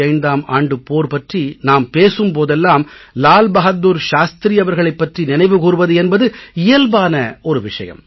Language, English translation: Tamil, And whenever we talk of the 65 war it is natural that we remember Lal Bahadur Shastri